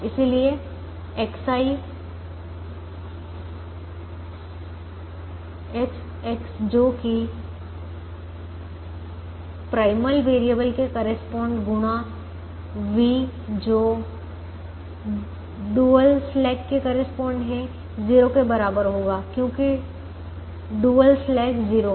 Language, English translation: Hindi, therefore, x i x, x, which corresponds to the primal variable, into v, which corresponds to the dual slack, will be equal to zero because the dual slack is zero